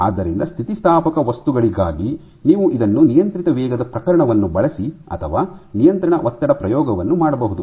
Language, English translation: Kannada, So, for elastic material you can do this in using either the controlled rate case or using a control stress experiment